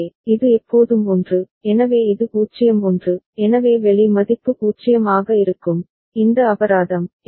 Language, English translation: Tamil, So, this is always 1, so this is 0 1, so the out value will remain 0, this fine